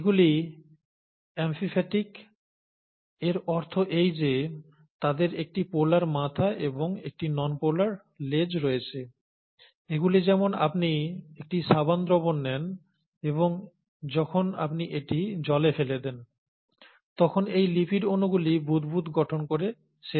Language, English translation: Bengali, These are amphiphatic, in the sense that they do have a polar head, and a non polar tail, and these, it's like you take a soap solution and when you drop it in water, these lipid molecules will end up forming bubbles